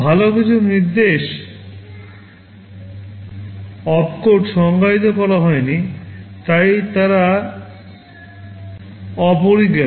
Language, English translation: Bengali, Well some instruction opcodes have not been defined, so they are undefined